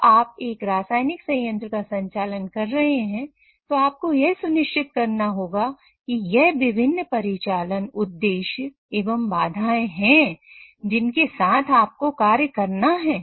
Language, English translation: Hindi, So when you are operating a chemical plant, you have to ensure that these are the different operational objectives or constraint within which you have to operate